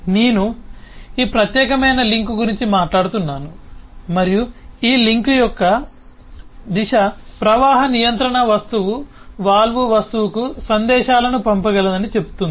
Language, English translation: Telugu, i am talking about this particular link and the direction of this link say that the flow control object can sent messages to the valve object